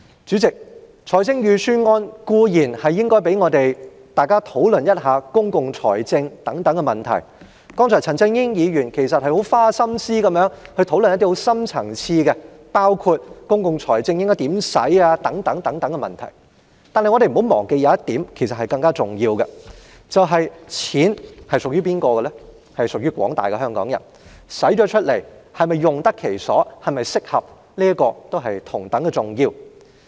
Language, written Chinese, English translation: Cantonese, 主席，預算案固然有機會讓議員討論公共財政的問題，而陳振英議員剛才也很花心思地討論了一些深層次的問題，包括應該如何運用公共財政等，但我們不要忘記，更重要的一點是錢是屬於廣大香港人的，開支是否用得其所及合適同樣重要。, President while the Budget has provided an opportunity for Members to discuss the issue of public finance and just now Mr CHAN Chun - ying has put in lots of efforts to discuss some deep - rooted issues including how to make use of public finance we must not forget a more important point that is the money actually belongs to all the people of Hong Kong and thus whether the money has been properly spent is equally important